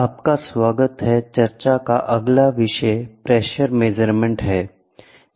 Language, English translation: Hindi, Welcome back, the next topic of discussion is going to be Pressure Measurement